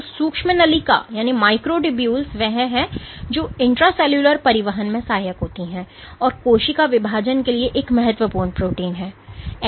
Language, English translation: Hindi, So, the microtubule is the one which aids in intra cellular transport and is a key protein for cell division